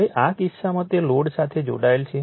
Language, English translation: Gujarati, Now, in this case it is connected to the load